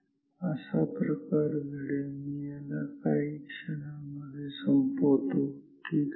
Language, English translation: Marathi, I will just finish this in a few minutes ok